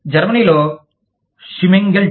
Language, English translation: Telugu, In Germany, Schimmengelt